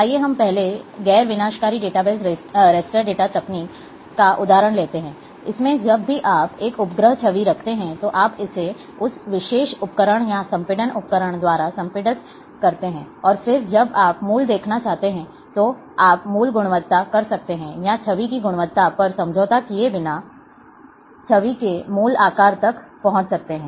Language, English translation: Hindi, Let us take the example of first non destructive data base raster data technique, is that, in that, whenever you, you are say having a satellite image, you compress it by that particular tool or compression tool, and then, when you want to see the original, you can reach to the original quality, or original size of the image, without, compromising on the quality of the image